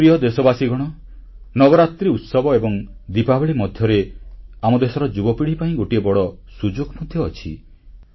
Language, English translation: Odia, My dear countrymen, there is a big opportunity for our younger generation between Navratra festivities and Diwali